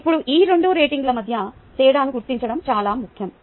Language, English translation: Telugu, now it is important distinguish between these two ratings